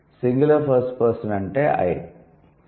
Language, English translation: Telugu, Singular and first person that is I